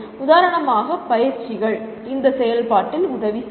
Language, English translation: Tamil, For example, tutorials do help in this process